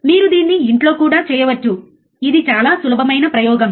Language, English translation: Telugu, You can also do it at home, this is very easy experiment